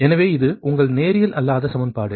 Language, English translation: Tamil, so this is your non linear equation now